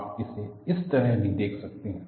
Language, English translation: Hindi, You can also look at it like this